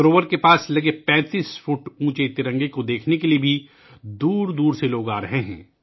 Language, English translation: Urdu, People are also coming from far and wide to see the 35 feet high tricolor near the lake